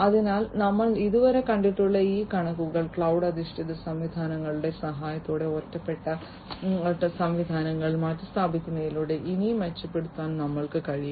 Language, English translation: Malayalam, So, far and this figures that we have seen so, far we would be able to improve even further by replacing the isolated systems with the help of cloud based systems